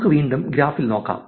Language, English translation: Malayalam, Let us look at another graph